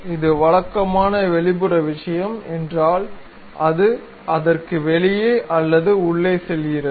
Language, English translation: Tamil, If it is the typical extrude thing, it goes either outside or inside of that